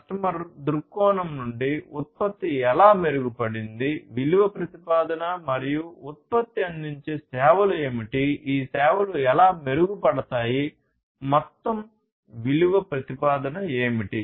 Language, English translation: Telugu, From a customer viewpoint, how the product has improved, what is the value proposition and the services that the product offers; how these services are going to be improved, what is the overall value proposition